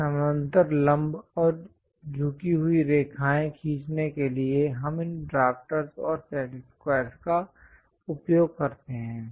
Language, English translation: Hindi, To draw parallel, perpendicular, and inclined lines, we use these drafter along with set squares